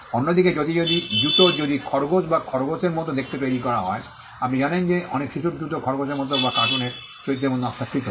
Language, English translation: Bengali, Whereas, if a shoe is designed to look like a bunny or a rabbit you know many children shoes are designed like a rabbit or like a character in a cartoon